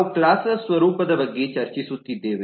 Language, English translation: Kannada, We have been discussing about nature of classes